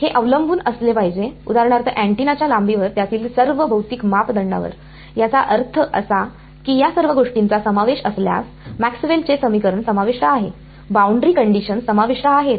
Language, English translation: Marathi, It should depend, for example, on the length of the antenna all of the physical parameter of it; that means, if all of these things are involved, Maxwell’s equations are involved boundary conditions are involved